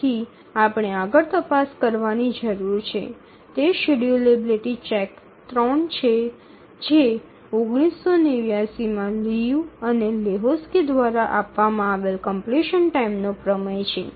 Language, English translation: Gujarati, And we need to check further that is the schedulability check 3 and the name of the result is completion time theorem given by Liu and Lahutski in 1987